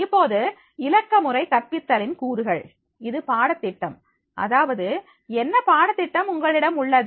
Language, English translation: Tamil, Now, in the elements of the digital pedagogy, it is a curriculum that is what curriculum you are having